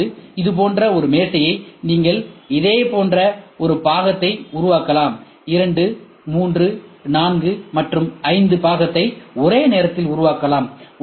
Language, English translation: Tamil, So, what we are trying to say is when we try to have a table like this, you can have one part made like this, 2, 3, 4, and 5 parts can be build simultaneously